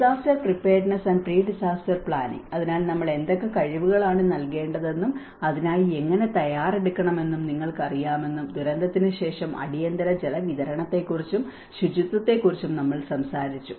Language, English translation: Malayalam, And the disaster preparedness and the pre disaster planning, so we talked about you know what kind of skills we have to impart and how we have to prepare for it and later on after the disaster, we have to talk about emergency water supply and sanitation